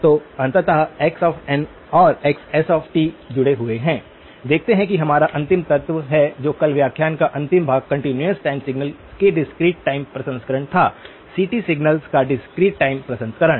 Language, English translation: Hindi, So, ultimately x of n and xs of t are linked, see that is our ultimate element, then the last part of the lecture yesterday was the discrete time processing of continuous time signals; discrete time processing of CT signals